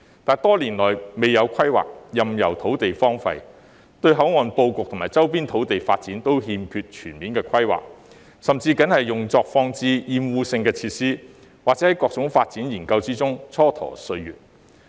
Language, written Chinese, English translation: Cantonese, 但是，多年來未有規劃，任由土地荒廢，對口岸布局及周邊土地發展均欠缺全面規劃，甚至僅用作放置壓惡性的設施，或在各種發展研究中蹉跎歲月。, However the Government has failed to undertake any planning over the years and simply left the land idle . In the absence of comprehensive planning for port layout and development of surrounding areas the land is only used for placing obnoxious facilities and time just passed with various studies of development